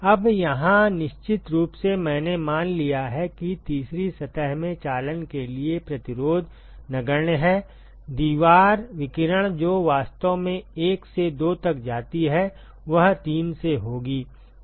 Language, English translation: Hindi, Now, here ofcourse I have assumed that the resistance for conduction is negligible in the third surface, wall radiation that actually goes from 1 to 2 will be with will be from 3